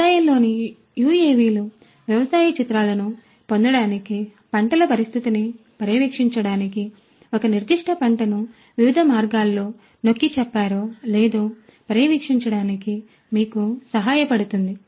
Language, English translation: Telugu, UAVs in agriculture would help you to get agricultural images, monitor the condition of the crops, monitor whether a particular crop is stressed in different ways water stress nutrient stressed